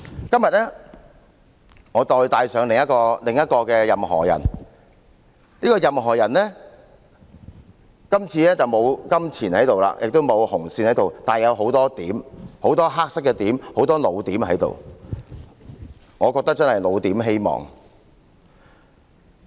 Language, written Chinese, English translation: Cantonese, 今天我帶上另一個"任何仁"，今次的"任何仁"既沒有金錢亦沒有紅線，但他有很多黑色的點，很多"老點"，我覺得真是"老點"希望。, Today I brought along another Anybody . This time he has neither money nor red lines but many black spots meaning many old points which are pointless . I think they are really pointless hopes